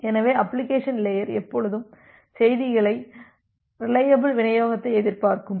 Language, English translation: Tamil, So, that way the application layer will always expect a reliable delivery of the messages